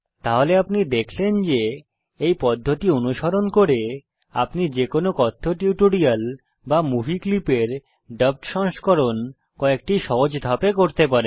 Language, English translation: Bengali, So, you see, by following this procedure, you will be able to create dubbed versions of any spoken tutorial or movie clip in a few simple steps